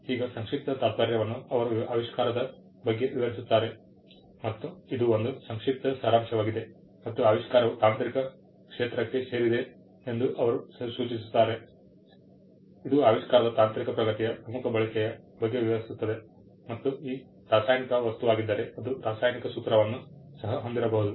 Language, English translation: Kannada, Now, abstract the world over perform similar function they describe the invention and it is a concise summary and they indicate the technical field to which the invention belongs, it describes the technical advancement principal use of the invention and if it is a chemical substance, it also may contain a chemical formula